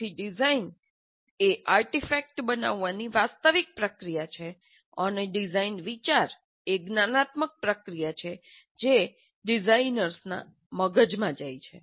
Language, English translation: Gujarati, So design is the actual process of creating the artifact and the thinking is, design thinking is the cognitive process which goes through in the minds of the designers